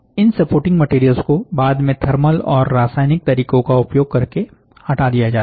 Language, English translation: Hindi, These supporting materials are later removed using thermal and chemical means